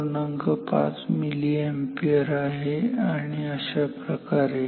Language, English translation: Marathi, 5 milliampere and so on